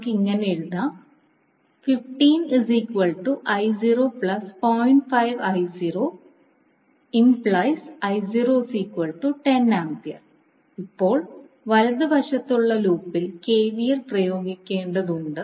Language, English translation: Malayalam, Now, you need to apply KVL to the loop on right hand side